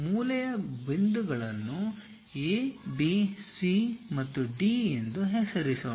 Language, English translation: Kannada, Let us name the corner points as A, B, C, and D